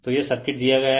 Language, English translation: Hindi, So, this is the circuit is given